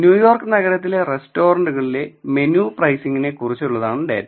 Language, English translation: Malayalam, So, the data is about menu pricing in restaurants of New York City